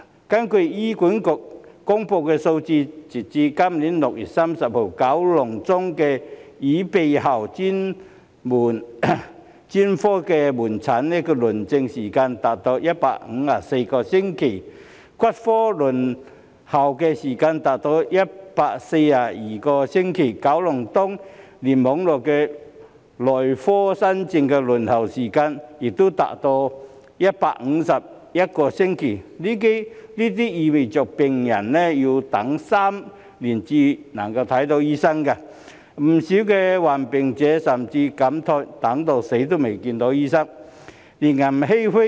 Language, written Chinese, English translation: Cantonese, 根據醫院管理局公布的數字，截至今年6月30日，九龍中的耳鼻喉專科門診新症輪候時間長達154星期；骨科輪候時間長達142星期；九龍東聯網內科新症的輪候時間亦長達151星期，這意味病人要等3年才能見到醫生；不少患病長者甚至慨嘆："等到死都未見到醫生"，令人欷歔。, According to the figures released by the Hospital Authority as of 30 June this year in the Kowloon Central Cluster the waiting time of new cases of the SOP services is 154 weeks for the Ear Nose and Throat Specialty and 142 weeks for the Orthopaedics and Traumatology Specialty; and in the Kowloon East Cluster the waiting time of new cases of the SOP services is 151 weeks for the Medicine Specialty . This means that patients have to wait for three years before doctors can be consulted . Many elderly patients lamented I may have died before doctors can be consulted which is extremely sad